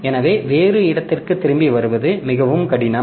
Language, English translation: Tamil, So, it is very difficult to come back to some other location